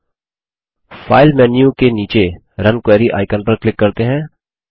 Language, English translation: Hindi, Now, let us click on the Run Query icon below the file menu bar